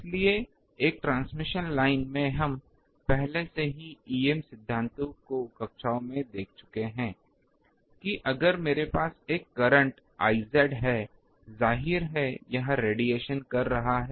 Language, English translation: Hindi, So, in a transmission line we have already seen in the em theory classes, that if I have a current I z; obviously, here the radiation is taking place